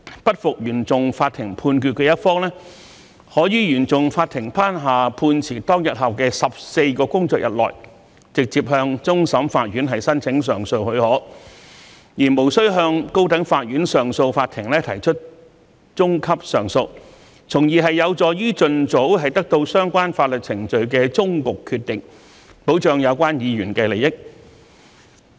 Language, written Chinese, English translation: Cantonese, 不服原訟法庭判決的一方，可於原訟法庭頒下判詞當天後的14個工作日內，直接向終審法院申請上訴許可，而無須向高等法院上訴法庭提出中級上訴，從而有助於盡早得到相關法律程序的終局決定，保障有關議員的利益。, 484 to put in place a leap - frog appeal mechanism for relevant proceedings . Instead of lodging an intermediate appeal to the Court of Appeal of the High Court a party who is not satisfied with a decision made by CFI may lodge an appeal to the Court of Final Appeal direct within 14 working days after the CFI judgment is handed down thereby contributing to attaining the final decision of the legal proceedings as soon as possible to safeguard the interest of the member concerned